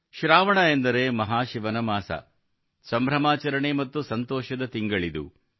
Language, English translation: Kannada, Sawan means the month of Mahashiv, the month of festivities and fervour